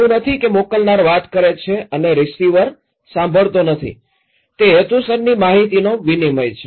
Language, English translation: Gujarati, It’s not that senders is talking and receiver is not listening it is a purposeful exchange of information